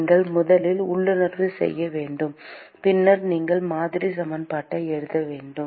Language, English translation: Tamil, You have to intuit first, and then you write the model equation